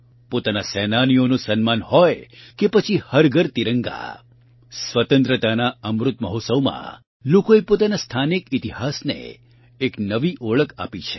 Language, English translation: Gujarati, Be it honouring our freedom fighters or Har Ghar Tiranga, in the Azadi Ka Amrit Mahotsav, people have lent a new identity to their local history